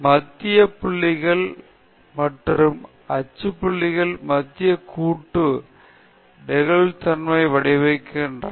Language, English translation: Tamil, The center points and the axial points contribute to the flexibility of the Central Composite Design